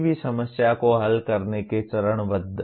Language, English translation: Hindi, Phasing of solving any problem